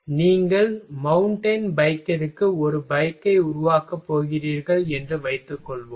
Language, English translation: Tamil, Suppose that you’re going to make a bike for mountain bike ok